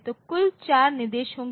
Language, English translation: Hindi, So, total four instructions will be there